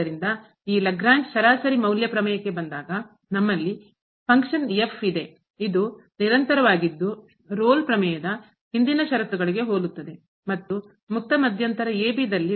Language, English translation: Kannada, So, now coming to the Lagrange mean value theorem we have the function which is continuous similar to the previous conditions of the Rolle’s theorem and differentiable in the open interval